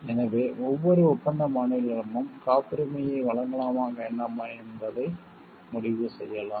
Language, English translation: Tamil, So, each contracting state can decide on whether to grant the patent or not to grant the patent right and